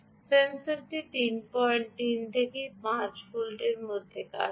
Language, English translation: Bengali, the sensor operates between three point three and five volts